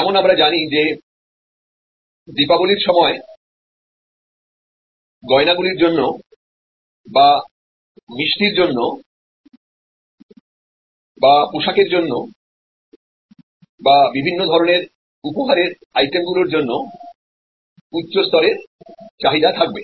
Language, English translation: Bengali, So, we know that during Diwali there will be a higher level of demand for jewelry or for sweets or for clothing or for different types of gift items